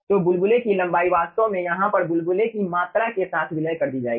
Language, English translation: Hindi, so length of the bubble will be actually ah merged with the volume of the bubble over here